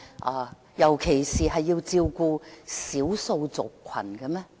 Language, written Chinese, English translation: Cantonese, 我們不是應該照顧社會上的少數族群嗎？, Yet arent we supposed to take care of the minorities in society?